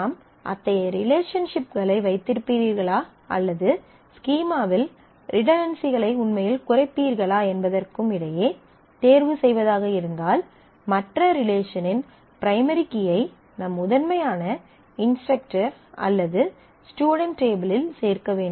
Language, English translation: Tamil, So, if there is a choice between whether you will keep such relationships or you will actually reduce the redundancy in the schema, and involve the primary key of the other relation into your primary table which is instructor or the student here